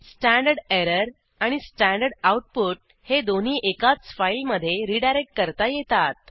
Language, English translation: Marathi, Both stderr as well as the stdout can be redirected to the same file